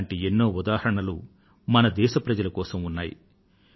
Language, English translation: Telugu, There are many such examples before us